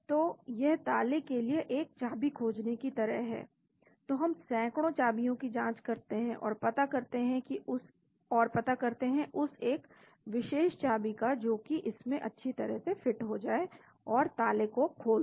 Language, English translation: Hindi, So, it is like finding a key for the lock so we test 100 of keys and find that one particular key nicely fits into it and opens the lock